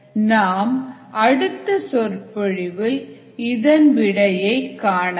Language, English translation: Tamil, we will solve this problem in the next lecture